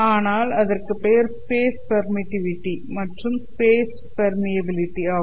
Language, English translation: Tamil, These are known as free space permittivity and free space permeability